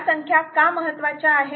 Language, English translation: Marathi, why these numbers are important